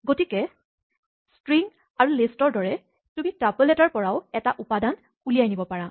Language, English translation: Assamese, So, like strings and list, in a tuple you can extract one element of a sequence